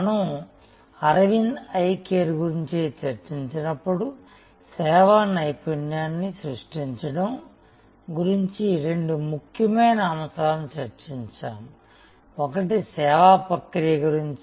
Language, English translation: Telugu, When we discussed about Aravind Eye Care we discussed two important points about creating service excellence, one was about the service process